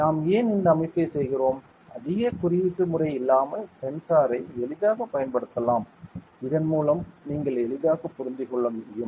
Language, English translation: Tamil, Why we are doing this system we can easily use the sensor without much coding, so that you can easily understand ok